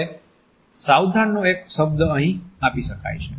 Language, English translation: Gujarati, Now, a word of caution can be given over here